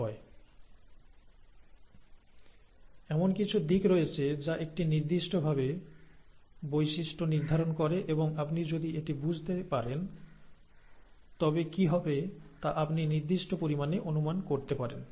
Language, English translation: Bengali, There are, there are aspects that determine traits in an appropriate fashion and if you understand this, it it, you can predict to a certain extent what will happen